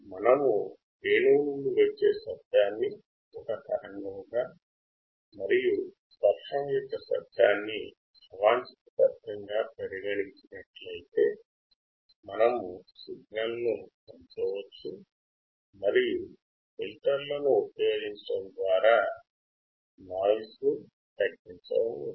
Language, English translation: Telugu, If we consider sound from flute as signal and sound of rain as noise, we can increase the signal and reduce the noise by using the filters